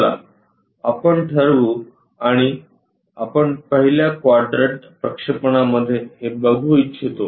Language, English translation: Marathi, Let us call and we would like to visualize this in the first quadrant projection